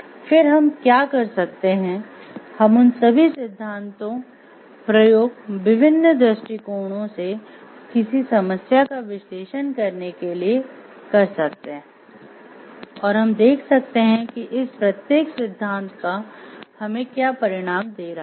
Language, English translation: Hindi, Rather what can we do we can use all of them to analyze a problem from different perspectives and see what is the result that the each of these theory is giving to us